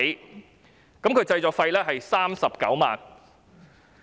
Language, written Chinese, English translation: Cantonese, 短片的製作費用是39萬元。, The production cost of this API is 390,000